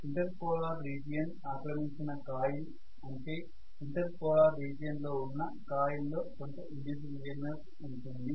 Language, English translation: Telugu, The coil occupied by the inter polar region, in the inter polar region that is going to have some induced EMF